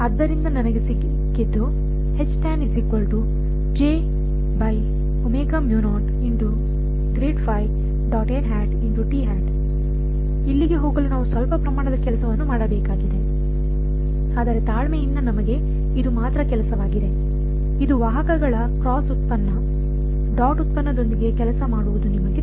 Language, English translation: Kannada, Granted we have to do some amount of work to get here, but patiently we have only work this is just you know working with vectors cross product dot product so on